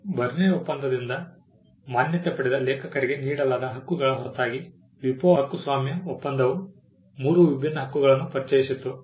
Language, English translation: Kannada, Apart from the rights granted to authors which were recognised by the Berne convention, the WIPO copyright treaty also introduced three different sets of rights